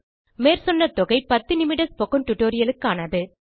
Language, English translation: Tamil, The above amounts are for a ten minute spoken tutorial